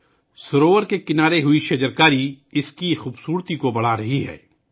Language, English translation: Urdu, The tree plantation on the shoreline of the lake is enhancing its beauty